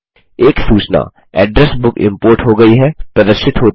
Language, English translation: Hindi, A message that the address book has been imported is displayed